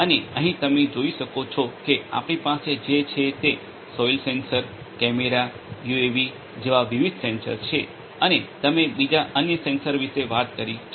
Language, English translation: Gujarati, And here as you can see at the very bottom what we have are the different sensor such as the soil sensors, cameras, UAVs and you could talk about different other sensors